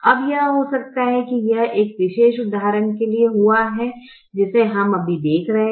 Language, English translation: Hindi, now this can happen, and this has happened to the particular example that we are right now looking at